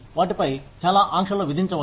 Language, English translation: Telugu, Do not impose, too many restrictions on them